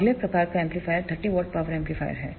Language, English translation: Hindi, The next type of amplifier is the 30 watt power amplifier